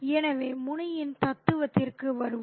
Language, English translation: Tamil, So, let's come to Muni's philosophy